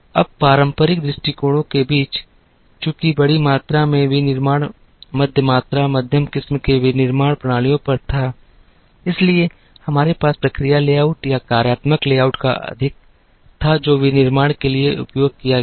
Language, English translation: Hindi, Now, among the traditional approaches, since a large amount of manufacturing was on the middle volume middle variety manufacturing systems, we had more of the process layout or functional layout that was used for manufacturing